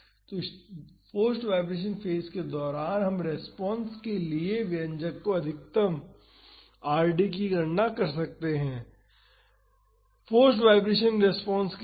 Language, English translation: Hindi, So, during the forced vibration phase we can calculate the Rd by maximizing the expression for the response, for the forced vibration response